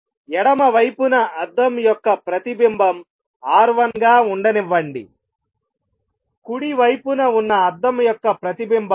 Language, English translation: Telugu, Let the reflectivity of mirror on the left be R 1, the reflectivity of the mirror on the right be R 2